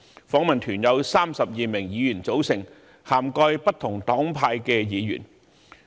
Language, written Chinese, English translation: Cantonese, 訪問團由32名議員組成，涵蓋不同黨派的議員。, The delegation was made up of 32 Members of different political parties and groups